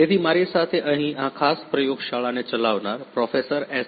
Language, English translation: Gujarati, So, I have with me over here the lead of this particular lab Professor S